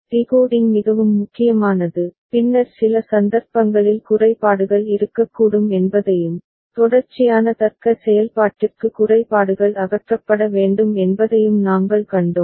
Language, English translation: Tamil, Decoding is very important and later on we had seen that for certain cases there could be glitches and that, glitches need to be removed for sequential logic operation